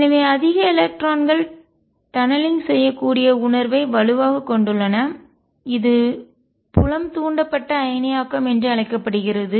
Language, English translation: Tamil, So, stronger the feel more electrons can tunnel through and this is known as field induced ionization